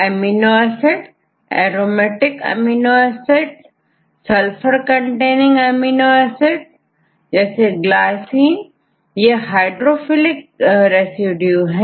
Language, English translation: Hindi, Amino acids, aromatic amino acids, Sulphur containing amino acids, and glycine; for the case of hydrophilic residues